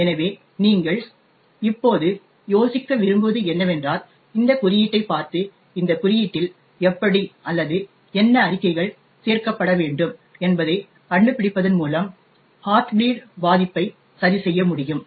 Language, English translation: Tamil, So, what I would like you to think of right now is to look at this code and figure out how or what statements to be added in this code so that the heart bleed vulnerability can be fixed